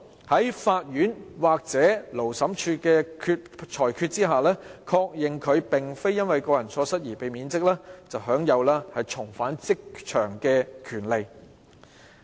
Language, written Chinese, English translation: Cantonese, 經法院或勞資審裁處的判決，確認他並非由於個人錯失而被免職，享有重返職場的權利。, A dismissed employee has the right to reinstatement upon ruling by the court or Labour Tribunal that he was not dismissed due to personal faults